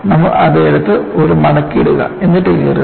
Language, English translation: Malayalam, You will take it and put a fold, and then tear it